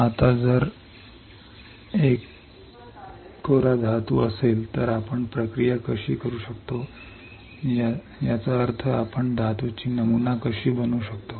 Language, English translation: Marathi, Now, what if there is a metal, then how can we process; that means, that how can we pattern a metal